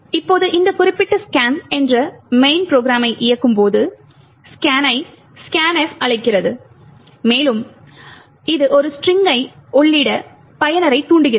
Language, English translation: Tamil, Now when you run this particular program main called scan, scan calls scanf and it prompts the user to enter a string